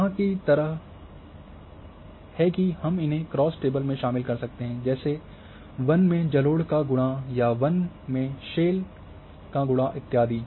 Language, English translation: Hindi, Like here that we can involve that in cross table we are multiplying forest multiply by alluvial or forest multiply by shale and so on so forth